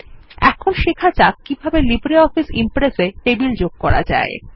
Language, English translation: Bengali, Lets now learn how to add a table in LibreOffice Impress